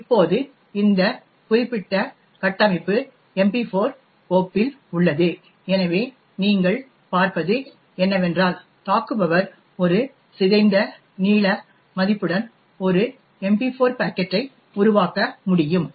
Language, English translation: Tamil, Now, this particular structure is present in the MP4 file, so what you see is that an attacker could create an MP4 packet with a corrupted length value